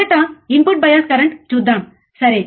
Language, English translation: Telugu, Let us see first is input bias current ok